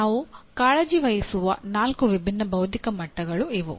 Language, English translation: Kannada, These are the four different cognitive levels we are concerned with